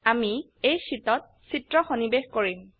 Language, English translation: Assamese, We will insert images in this sheets